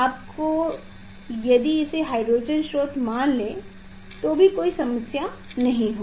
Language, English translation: Hindi, you think that this is the hydrogen source there is no problem